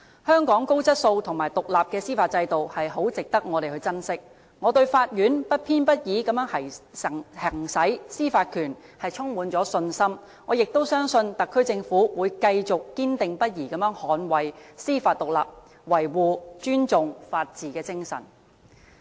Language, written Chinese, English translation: Cantonese, 香港高質素和獨立的司法制度，十分值得我們珍惜，我對法院不偏不倚地行使司法權充滿信心，我也相信特區政府會繼續堅定不移地捍衞司法獨立，維護、尊重法治精神。, We should treasure the high quality and independent judicial system in Hong Kong . I have full confident that the courts will exercise their judicial power without bias . I also believe that the SAR Government will remain steadfast in upholding judicial independence and safeguard or respect the spirit of the rule of law